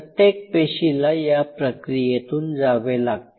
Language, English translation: Marathi, So, cell essentially goes through this cycle